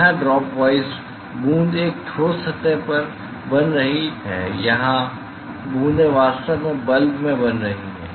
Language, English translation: Hindi, Here the drop wise the drop are forming at a solid surface here the drops are actually forming in bulb